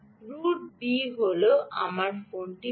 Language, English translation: Bengali, route b is i will get the phone